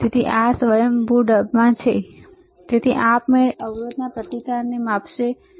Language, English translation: Gujarati, So, this is in auto mode so, it will automatically measure the resistance of the resistor, all right